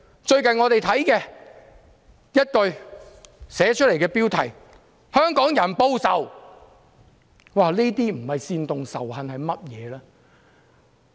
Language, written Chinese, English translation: Cantonese, 最近我們看到其中一句標題是"香港人報仇"，這些不是煽動仇恨是甚麼？, Recently we read a headline that reads Hongkongers retaliate! . What is this if it is not inciting hatred?